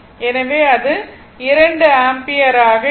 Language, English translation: Tamil, So, it will be 2 ampere